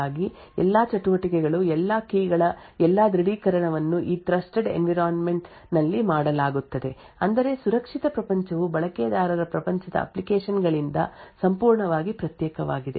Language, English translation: Kannada, So what you see over here is that because of the Trustzone which is supported by the ARM all the activities all the keys all the authentication which is done in this trusted environment I mean the secure world is completely isolated from the user world applications